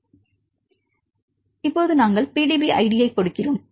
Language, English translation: Tamil, So, to enter the PDB id right